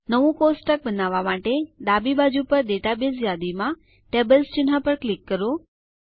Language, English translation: Gujarati, To create a new table, click the Tables icon in the Database list on the left